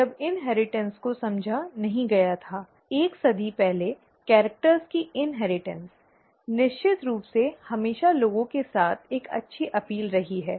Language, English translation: Hindi, When inheritance was not understood, may be a century and a half ago, century ago, the inheritance of characters, of course has, has always had a good appeal with people